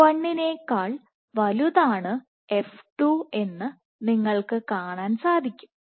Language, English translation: Malayalam, You might see f 2 is greater than f 1